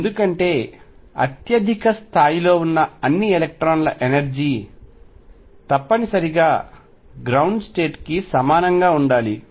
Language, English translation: Telugu, Because the energy of all the electrons at the upper most level must be the same for the ground state